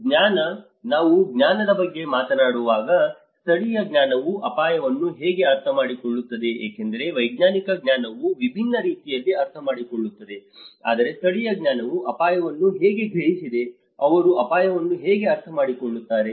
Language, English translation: Kannada, The knowledge: when we talk about knowledge, how local knowledge understand risk because the scientific knowledge understands in a different way but how the local knowledge have perceived the risk, how they understand the risk